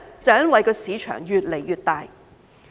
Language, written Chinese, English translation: Cantonese, 因為市場越來越大。, It is because the market is getting bigger and bigger